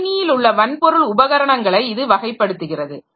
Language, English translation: Tamil, So, that classifies these hardware devices that we have in a computer system